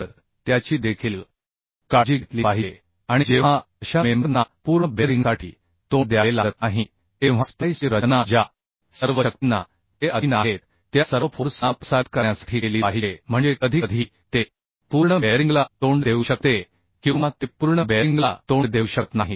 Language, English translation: Marathi, And when such members are not faced for complete bearing splices should be designed to transmit all forces to which these are subjected means sometimes it may be faced complete bearing or it may not be faced complete bearing